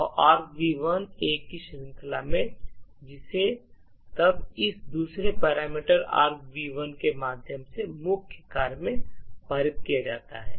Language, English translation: Hindi, So, argv 1 is the series of A’s which is then passed into the main function through this second parameter argv 1